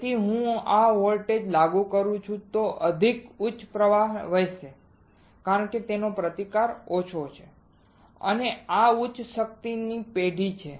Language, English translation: Gujarati, So, if I apply voltage right high current will flow because the resistance is less and this one is generation of high power